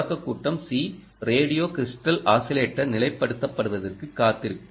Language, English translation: Tamil, the waits for the radio crystals oscillators to stabilize